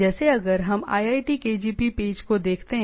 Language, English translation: Hindi, Like if we look at the IITKgp page